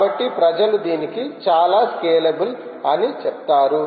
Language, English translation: Telugu, so people do say that this is a very scalable